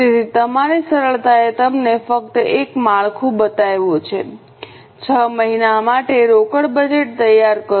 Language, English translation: Gujarati, So, for your ease I have just shown you a structure, prepare a cash budget for six months